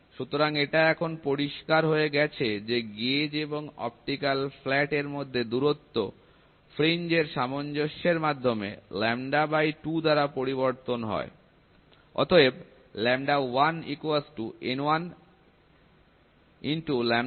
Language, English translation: Bengali, So, it is clear the distance between the gauge and the optical flat changes by lambda 2, by adjusting fringes